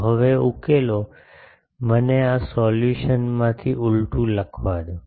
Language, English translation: Gujarati, So, this solution now let me write the inverse from this solution